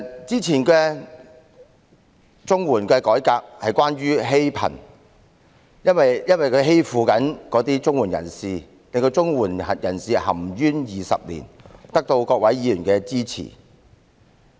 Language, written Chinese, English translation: Cantonese, 之前綜合社會保障援助計劃的改革是關於"欺貧"，因為綜援計劃欺負綜援人士，令他們含冤20年，有關改革得到各位議員的支持。, The earlier reform of the Comprehensive Social Security Assistance CSSA Scheme was about the poor being bullied since the CSSA Scheme has been bullying CSSA recipients and doing them injustice for 20 years . The relevant reform was supported by various Members